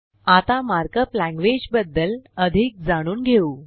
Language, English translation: Marathi, Now let us learn more about Mark up language